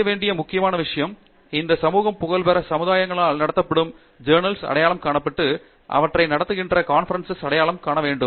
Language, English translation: Tamil, The important thing to do is to identify the journals that are run by these societies of reputed peer communities and then identify conferences that are run by them